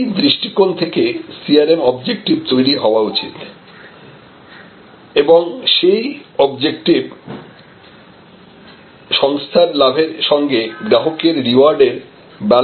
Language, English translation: Bengali, It is from this perspective therefore, a CRM objective should be created and CRM objective must actually balance the gain for the organization with the reward given to the customer